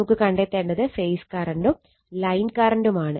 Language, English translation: Malayalam, So, our goal is to obtain the phase and line currents right